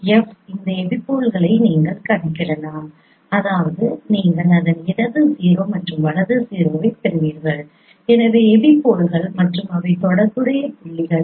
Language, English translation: Tamil, So from if you can compute this epipoles that means you get its left zero and right zero those are the epipoles and they are also corresponding points